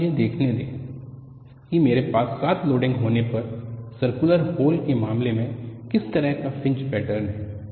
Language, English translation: Hindi, Now, let me see what is the kind of fringe pattern in the case of a circular hole when I have the loading is 7